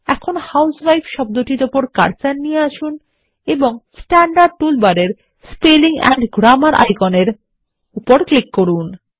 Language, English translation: Bengali, Now place the cursor on the word husewife and click on the Spelling and Grammar icon in the standard tool bar